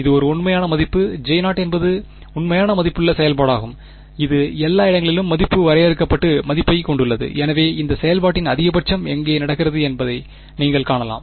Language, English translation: Tamil, It is a real value; J 0 is the real valued function it has a value finite value everywhere, so you can see the maxima of this function is happening where